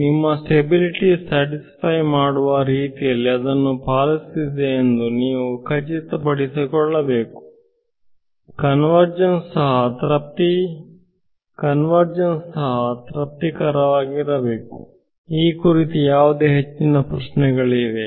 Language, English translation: Kannada, You have to make sure that it is obeying it such that your stability is satisfied therefore, convergence is also satisfied ok; any further questions on this